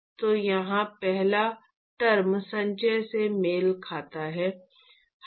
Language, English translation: Hindi, So, the first term here corresponds to accumulation